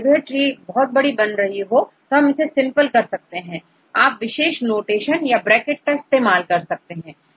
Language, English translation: Hindi, In this case you can simplify the trees in the form of specific notations like you can use some parentheses